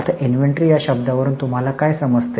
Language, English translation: Marathi, Now, what do you understand by inventory